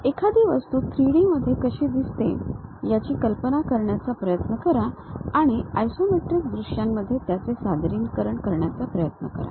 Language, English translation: Marathi, Try to imagine how an object really looks like in 3D and try to represent that in isometric views